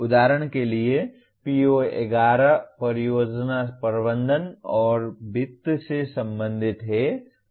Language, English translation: Hindi, For example PO11 is related to project management and finance